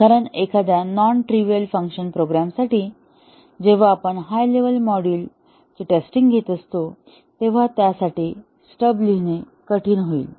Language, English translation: Marathi, Because if for a non trivial program, when we are testing the top level modules, writing stubs for those way down would be difficult